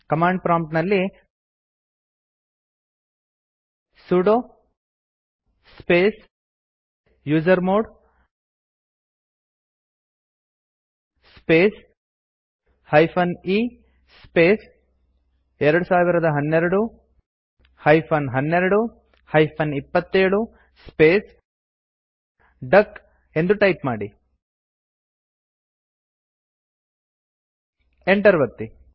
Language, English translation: Kannada, Here at the command prompt type sudo space usermod space e space 2012 12 27 space duck and press Enter